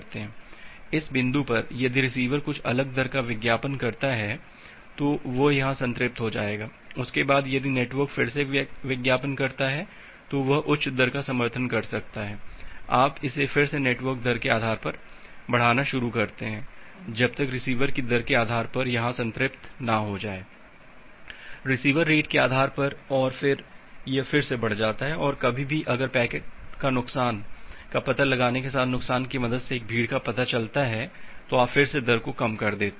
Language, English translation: Hindi, At this point if the receiver advertise some different rate it will get saturated here, after that if the network again advertise that well it can support higher rate again you start increasing it based on the network rate it will get saturated here, based on the receiver rate and then it increases again and some time if there is a congestion detection with the help of a loss with the detection of a packet loss, you again drop the rate